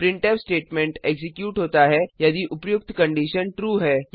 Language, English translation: Hindi, This printf statement is executed if the above condition is true